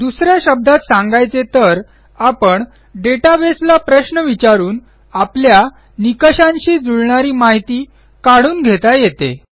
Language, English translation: Marathi, In other words, we can query the database for some data that matches a given criteria